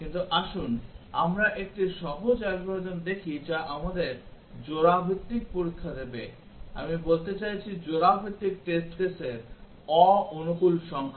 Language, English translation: Bengali, But let us look at a simple algorithm which will give us most of the pair wise test; I mean non optimal number of pair wise test cases